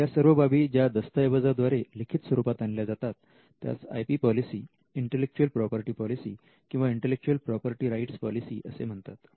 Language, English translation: Marathi, Now, this is usually captured in a document called the IP policy, the intellectual property policy or the intellectual property rights policy